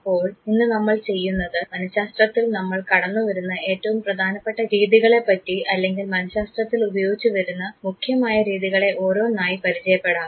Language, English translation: Malayalam, So, what we would do today is one by one we would come across the important methods or the major methods that are used in psychology